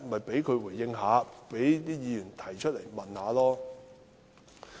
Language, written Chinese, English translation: Cantonese, 便讓他回應，讓議員提問吧。, Let him respond . Let Member raise questions